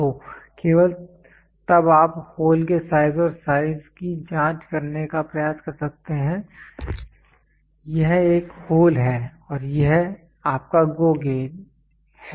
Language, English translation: Hindi, So, then only you can try to check the shape and size of the hole this is a hole and this is your GO gauge